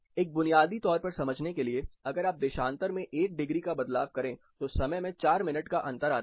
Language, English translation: Hindi, For a basic understanding, every degree of longitude you move, it means a time difference of 4 minutes